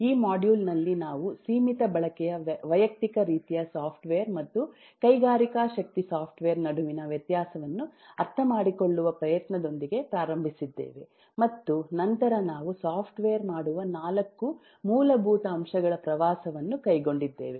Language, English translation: Kannada, in this module we have eh started by trying to understand the difference between limited use, personal kind of software and industrial strength software, and then we have take a tour of the 4 fundamental elements which make software complex